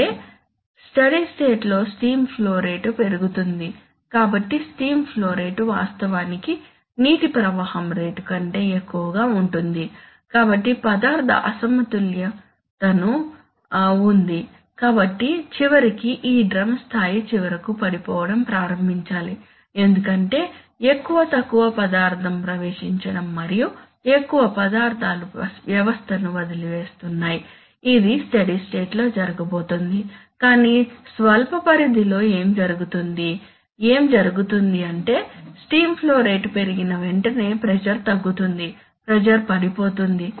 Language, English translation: Telugu, That, in the steady state, steam flow rate is increased, so steam flow rate is actually greater than water flow rate, so there is a material imbalance, so eventually this drum level finally should start falling because more, less material is entering and more material is leaving the system, this is going to happen in the steady state but what happens in the short range, what happens is that immediately when the steam flow rate is increased there is a reduction in pressure, the pressure falls